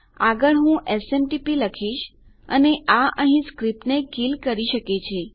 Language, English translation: Gujarati, Next Ill say SMTP and that can just kill the script there